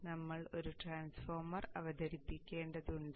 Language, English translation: Malayalam, Now we need to introduce a transformer